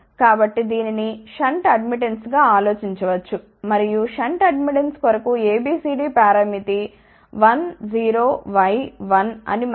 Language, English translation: Telugu, So, this can be thought about as a shunt admittance and we know that ABCD parameter for shunt admittance is 1 0 y 1